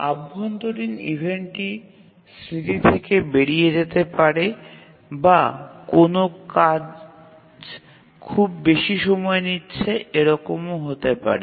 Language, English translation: Bengali, The internal event may be, that may be the memory, out of memory, or maybe some task is taking too much time